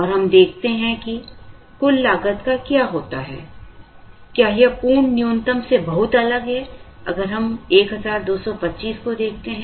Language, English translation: Hindi, And let us see, what happens to the total cost, whether it is very, very different from the absolute minimum, if we look at 1225